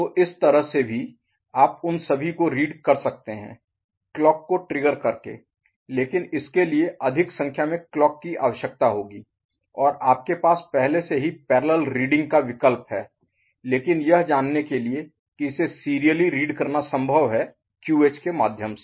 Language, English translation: Hindi, So, that way also, you can read all of them by triggering of the clock, but it will require more number of clocks and you already have the option of parallel reading ok, but to know that it is also possible to serially read it through QH, fine